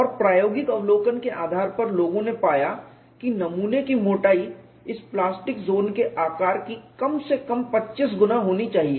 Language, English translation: Hindi, And based on experimental observation, people found that the specimen thickness should be at least 25 times of this plastic zone size